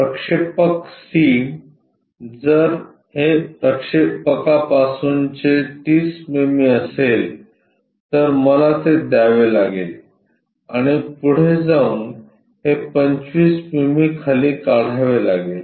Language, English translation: Marathi, The projector C if that is the case from projector 30 mm I have to give and go ahead construct this below 25 mm